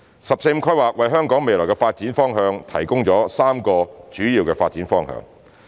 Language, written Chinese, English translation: Cantonese, "十四五"規劃為香港未來的發展提供3個主要發展方向。, The 14th Five - Year Plan provides three major directions for Hong Kongs future development